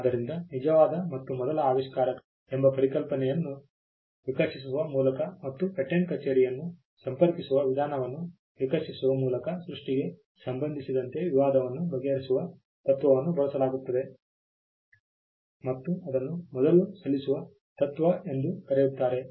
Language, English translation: Kannada, So, the person who law settles dispute with regard to creation by evolving a concept called true and first inventor and evolving a method of approaching the patent office call the first file principle